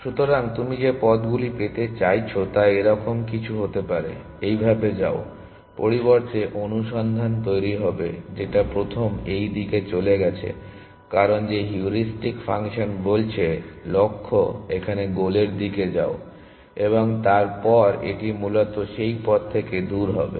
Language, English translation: Bengali, So, the paths that you are looking for may be something like this; go like this; instead of the search would have generated first gone in this direction, because that is what the heuristic function is saying the goal is here go towards the goal, and then it will away from that path essentially